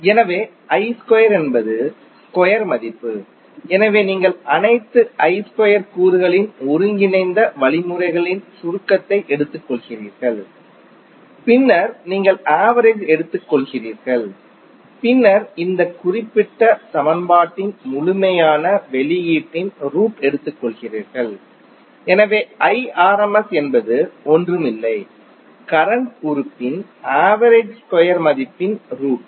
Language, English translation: Tamil, So I square is the square value, so you take the integral means summation of all I square component and then you take the mean and then you take the under root of the complete output of this particular equation, so I effective is nothing but root of mean square value of the current element